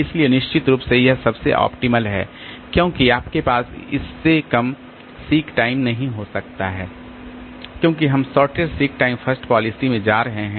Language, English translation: Hindi, So, definitely this is the optimal one because you cannot have sick time less than that because we are going in the shortage sick time first policy